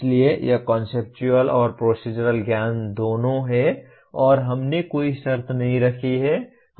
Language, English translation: Hindi, So it is both conceptual and procedural knowledge and we have not put any conditions